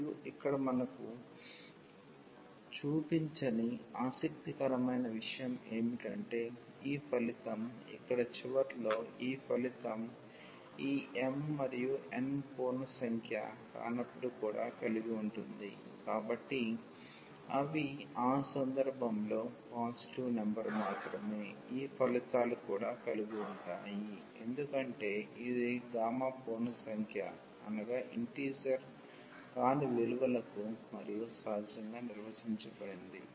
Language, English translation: Telugu, And, what is interesting which we are not showing here that this result with which at the end here this result also holds when this m and n are not integer, so, they are just the positive number in that case also this results holds because this gamma is defined for non integer values as well naturally